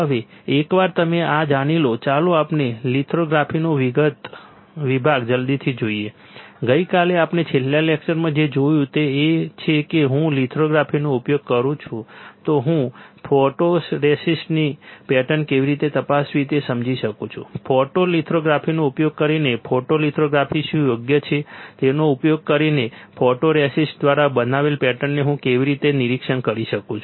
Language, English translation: Gujarati, Now, once you know this let us see quickly the section of lithography, yesterday what we have seen on last lecture what we have seen that if I use lithography if I use lithography I can understand how to inspect the pattern of photoresist; how to I can inspect the pattern created by the photoresist using what photolithography correct using photolithography